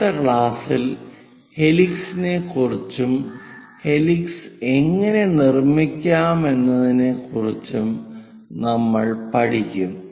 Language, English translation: Malayalam, In the next class, we will learn about helix how to construct that